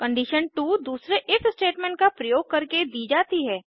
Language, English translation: Hindi, Condition 2 is given using another If statement